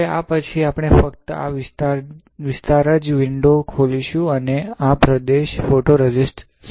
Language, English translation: Gujarati, Now, after this we will open a window only in this region and this region will save the photoresist ok